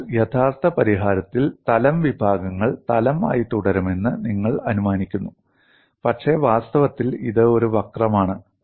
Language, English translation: Malayalam, So, in actual solution, you assume plane sections remain plane, but in reality, it is a curve